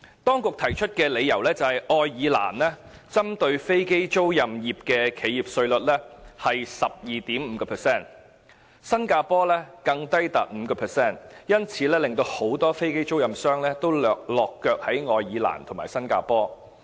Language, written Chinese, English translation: Cantonese, 當局提出的理由是，愛爾蘭針對飛機租賃業的企業稅率是 12.5%； 新加坡更低至 5%， 因此，很多飛機租賃商均選擇落腳愛爾蘭和新加坡。, The authorities have explained that many aircraft leasing operators opted to establish their bases in Ireland and Singapore as the corporate tax rate applicable to aircraft leasing operators is 12.5 % in Ireland and even as low as 5 % in Singapore